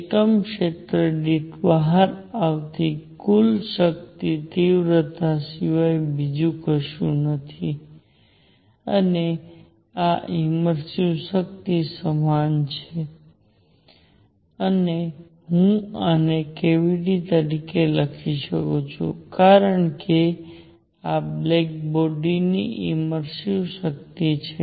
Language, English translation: Gujarati, Total power coming out per unit area is nothing but the intensity, and this is also equal to the emissive power and I can write this as cavity e because this is a emissive power of a black body